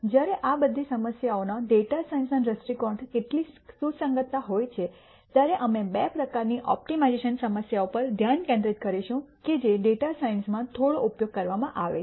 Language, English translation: Gujarati, While all of these types of problems have some relevance from a data science perspective, we will focus on two types of opti mization problems which are used quite a bit in data science